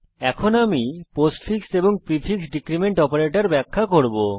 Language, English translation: Bengali, I will now explain the postfix and prefix decrement operators